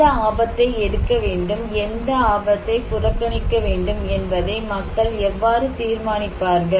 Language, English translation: Tamil, Now, the question is, how then do people decide which risk to take and which risk to ignore